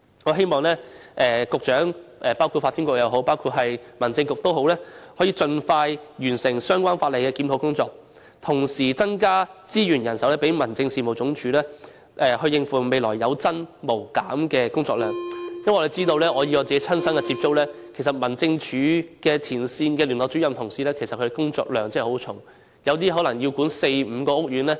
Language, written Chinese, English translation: Cantonese, 我希望無論是發展局局長或民政事務局局長也可以盡快完成相關法例的檢討工作，同時增加民政事務總署的資源和人手，以應付未來有增無減的工作量，因為透過親身接觸，我知道其實民政事務總署前線聯絡主任的工作量真的非常繁重，當中有些可能要管理四五個屋苑。, I hope both the Secretary for Development and the Secretary for Home Affairs can complete the review of the legislation expeditiously and also provide the Home Affairs Department with additional resources and manpower so as to cope with the future workload which will only increase because I know from first - hand experience that frontline Liaison Officers of the Home Affairs Department are really burdened with a heavy workload with some of whom having to manage four or five estates